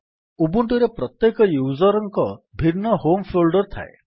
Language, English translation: Odia, Every user has a unique home folder in Ubuntu